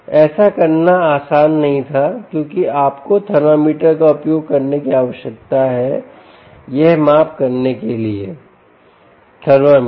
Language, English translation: Hindi, it wasnt easy to do this because you need to ah, use a thermometer, ah, ah thermometer to make this measurement